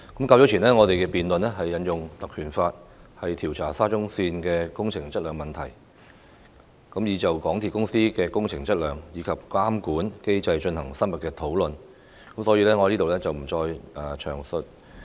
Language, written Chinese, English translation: Cantonese, 較早前，我們辯論引用《立法會條例》調查沙田至中環線工程質量的問題時，已就香港鐵路有限公司的工程質量，以及監管機制進行深入討論，所以我在這裏不再詳述。, Earlier on during our debate on invoking the Legislative Council Ordinance to investigate the quality issue of the Shatin to Central Link SCL project we already had an in - depth discussion about the quality of works and the regulatory regime in regard to the MTR Corporation Limited MTRCL so I will not go into the details again here